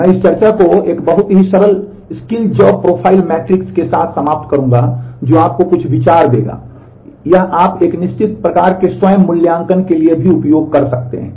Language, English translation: Hindi, I will end this discussion with a very simple skill job profile matrix which Will give you some idea in terms of, it will you can use it for a certain kind of self assessment as well